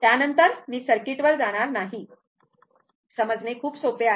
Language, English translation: Marathi, After that, I am not going to circuit; very easy to understand